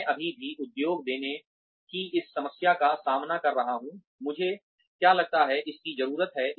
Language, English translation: Hindi, I am still facing this problem of giving the industry, what I think, it needs